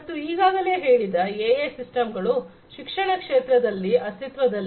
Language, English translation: Kannada, So, already there are different existing systems which use AI in the education sector